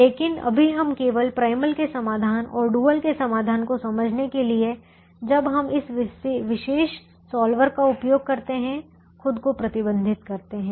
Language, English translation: Hindi, but right now we restrict ourselves only to understanding the solutions of the primal and the solutions of the dual when we use this particular solver